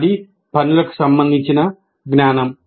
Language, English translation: Telugu, That is knowledge of the tasks